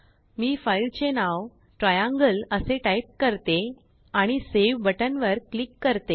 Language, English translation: Marathi, I will type the file name as Triangle and click on Save button